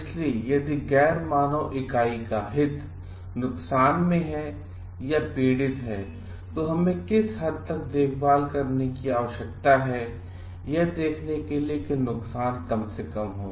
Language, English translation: Hindi, So, if the interest of the non human entity is suffering, then what extent of care we need to take to see that a harm is minimized